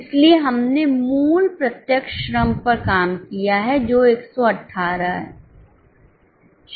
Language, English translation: Hindi, So, we have worked out the original direct labor which is 118